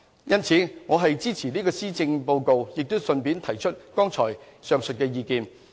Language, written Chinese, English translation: Cantonese, 因此，我是支持這個施政報告，並順帶提出上述意見。, I thus wish to express my support to the Policy Address and raise this point in passing